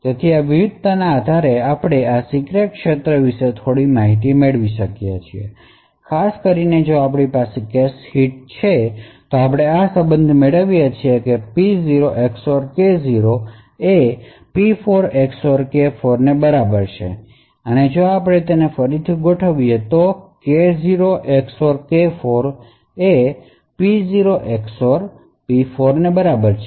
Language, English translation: Gujarati, So the based on this variation we can obtain some information about these secret fields, specifically if we have a cache hit then we obtain this relation that P0 XOR K0 is equal to P4 XOR K4 and if we just rearrange the terms we get K0 XOR K4 is equal to P0 XOR P4